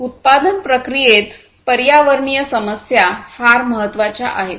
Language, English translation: Marathi, So, environmental issues are very important in the manufacturing process